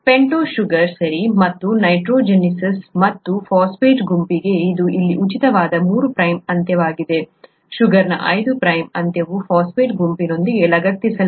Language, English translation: Kannada, The pentose sugar, right, and the nitrogenous base and the phosphate group to, this is a three prime end which is free here, the five prime end of the sugar is attached with the phosphate group